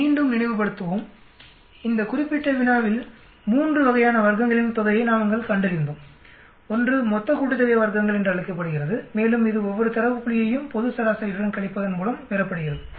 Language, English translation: Tamil, Let us recall, in this particular problem we found out 3 types of sum of squares, one is called the total sum of squares and that is obtained by subtracting each one of the data point with the global average